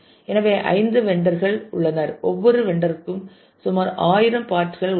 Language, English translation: Tamil, So, let us say there are 5 vendors and each vendor has about 1000 parts